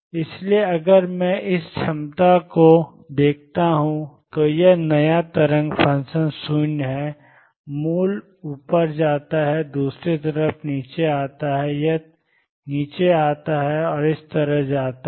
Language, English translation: Hindi, So, if I look at this potential this new wave function is 0 at the origin goes up and comes down on the other side it comes down and goes like this